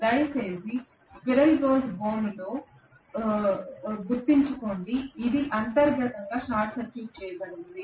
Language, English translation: Telugu, Please remember in squirrel cage it is inherently short circuited